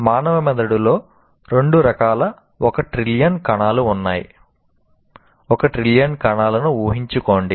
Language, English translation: Telugu, Human brain has one trillion cells of two types